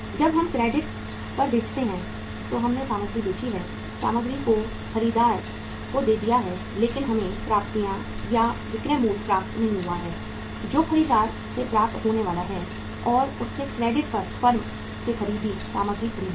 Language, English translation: Hindi, When we sell on credit we have sold the material, passed on the material to the buyer but we have not received the proceeds or the selling price which is due to be received from the buyer and he has bought the material from the firm on credit